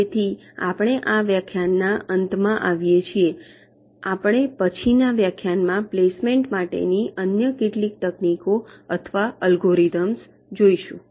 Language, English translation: Gujarati, in our next lectures we shall be looking at some other techniques or algorithms for placement